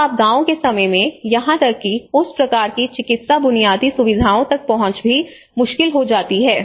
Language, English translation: Hindi, So in the time of disasters, even access to that kind of medical infrastructures also becomes difficult